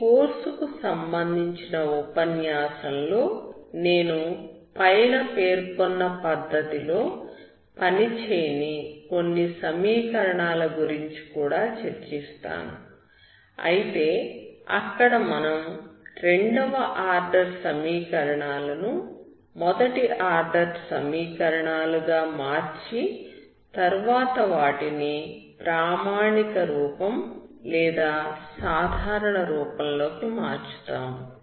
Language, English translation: Telugu, In the course of the lecture I will also discuss about certain equation on which the above technique may not work, however that converts the second order equations to first order equation, hence reducing it to standard form or normal form